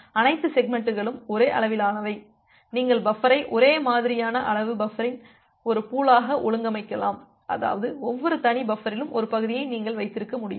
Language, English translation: Tamil, So, all the segments are of same size, you can organize the buffer as a pool of identically size buffer; that means, you can hold one segment at every individual buffer